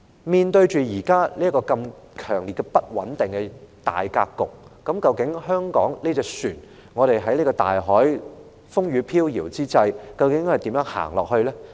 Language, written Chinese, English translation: Cantonese, 面對現時如此強烈不穩定的大格局，究竟香港這艘船在此風雨飄搖之際，要如何在大海行駛下去呢？, In the face of such a strongly unstable overall situation how exactly can this ship called Hong Kong brave the wind and rain to navigate at sea?